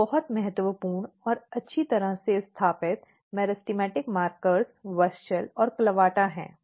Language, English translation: Hindi, Some of the markers so, two very important and well established meristematic markers are WUSCHEL and CLAVATA